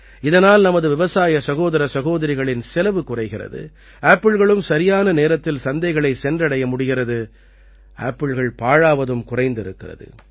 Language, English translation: Tamil, This will reduce the expenditure of our farmer brothers and sisters apples will reach the market on time, there will be less wastage of apples